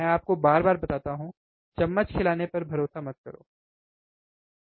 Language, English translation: Hindi, I tell you again and again, do not rely on spoon feeding, right